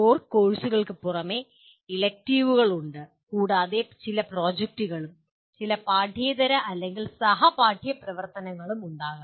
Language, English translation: Malayalam, In addition to core courses, there are electives and also there are may be some projects and some extracurricular or co curricular activities